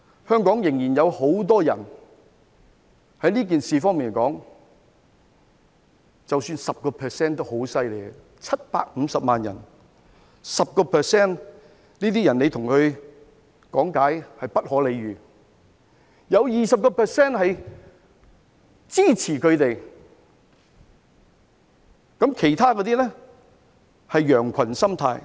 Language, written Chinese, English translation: Cantonese, 香港仍然有很多這樣的人，即使有 10% 都已很厲害 ，750 萬人的 10%， 這些人你跟他講道理，是不可理喻的；有 20% 是支持他們，其他那些是羊群心態。, There are still many such people in Hong Kong . Even if they only account for 10 % of the 7.5 million people it is already a lot . These people are impervious to reason and it is useless to reason with them; 20 % of the population support these people while the rest just follow the herd